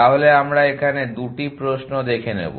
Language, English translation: Bengali, So they at 2 questions we want to look at